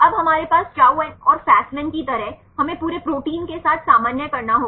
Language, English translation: Hindi, Now, we have, like Chou and Fasman, we have to normalize with the whole protein